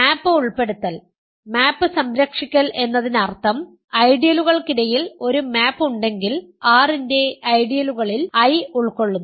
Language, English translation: Malayalam, Map inclusion preserving map means if there is a map between ideals so ideals of R containing I